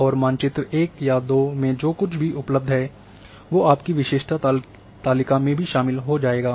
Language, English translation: Hindi, And it will have whatever is available was in map 1 or map 2 that will be included in your attribute table as well